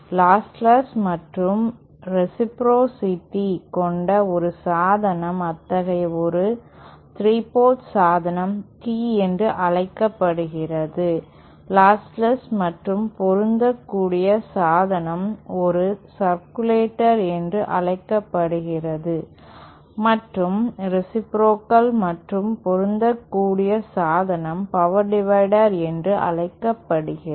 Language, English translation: Tamil, Then a device that is both lossless and reciprocal, such a 3 port device is called Tee, device which is lossless and matched is called a circulator and a device which is reciprocal and matched is called a power divider